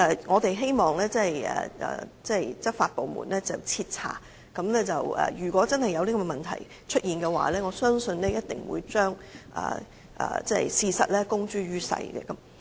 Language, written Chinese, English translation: Cantonese, 我們希望執法部門徹查，如果真的有這些問題，我相信他們一定會把事實公諸於世。, We hope the relevant law enforcement agencies will look into these cases thoroughly . If they could identify the problems they would surely disclose the details to the public